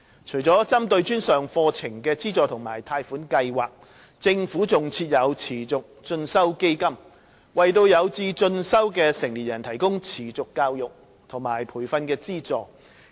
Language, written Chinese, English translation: Cantonese, 除了針對專上課程的資助和貸款計劃，政府還設有持續進修基金("基金"），為有志進修的成年人提供持續教育和培訓資助。, In addition to assistance and loan schemes for tertiary programmes the Government also has in place the Continuing Education Fund CEF to provide subsidies to adults with learning aspirations to pursue continuing education and training programmes